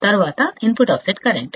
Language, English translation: Telugu, Then the input offset current